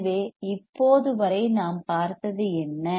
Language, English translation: Tamil, So, what we have seen until now